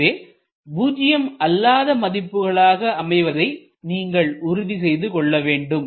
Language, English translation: Tamil, So, you have to make sure that these are nonzero